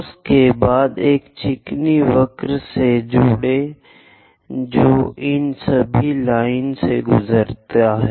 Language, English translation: Hindi, And after that join a smooth curve which pass through all these lines